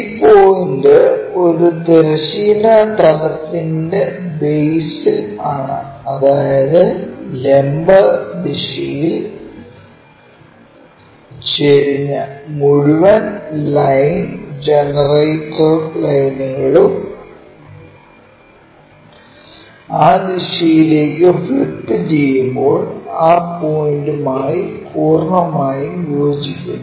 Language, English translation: Malayalam, This point is on the base on horizontal plane; that means, that entire line generator lines which are inclined in the vertical direction that when we are flipping it in that direction that entirely coincide to that point